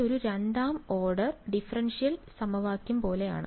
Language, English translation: Malayalam, This looks like a second order differential equation right